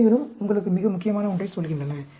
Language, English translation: Tamil, The constants also tell you something very very important